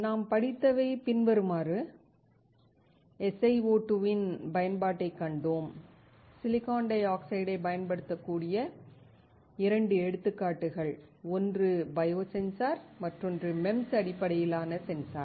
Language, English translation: Tamil, What we have studied: seen the application of SiO2, 2 examples where we can use the silicon dioxide; one is a biosensor, while another one is MEMS based sensor